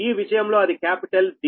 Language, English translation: Telugu, so in this case your capital d, right